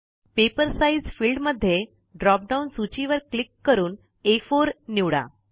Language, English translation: Marathi, In the Paper Size field, click on the drop down list and select A4